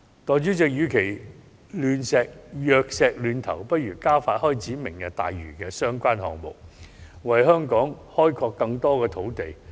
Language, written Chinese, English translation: Cantonese, 代理主席，與其藥石亂投，不如加快開展"明日大嶼"的相關項目，為香港開拓更多土地。, Deputy President rather than making wasteful efforts it would be better to speed up the commencement of the projects under the Lantau Tomorrow Vision in order to create more land for Hong Kong